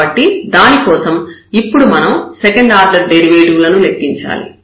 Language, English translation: Telugu, So, for that we need to compute now the second order derivatives